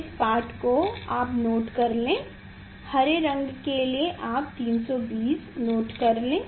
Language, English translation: Hindi, note down this reading you note down, for green color you note down 320